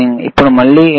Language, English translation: Telugu, Now, what is that again